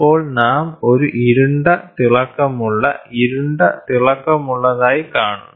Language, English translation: Malayalam, Then we see a dark, bright, dark, bright